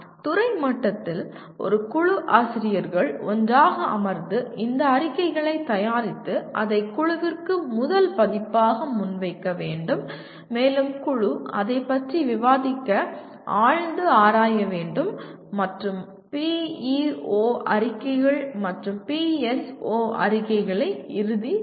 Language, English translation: Tamil, At department level, a group of faculty can sit together and prepare these statements and present it to the committee as the first version and the committee can debate/deliberate over that and finalize the PEO statements and PSO statements